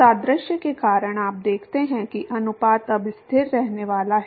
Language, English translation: Hindi, Because of the analogy you see that the ratio is now going to remain constant